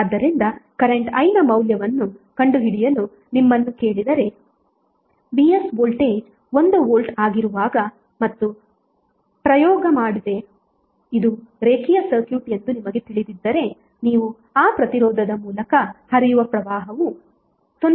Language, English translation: Kannada, So, suppose if you are asked to find out the value of current I when voltage Vs is 1 volt and you know that this is a linear circuit without doing experiment you can straight away say that current flowing through that resistor would be 0